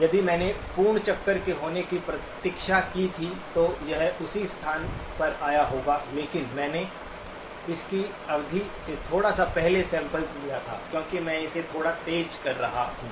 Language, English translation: Hindi, If I had waited for the full revolution to happen, then it would have come at the same place but I sampled it a little bit before the period of the; because I am sampling it slightly faster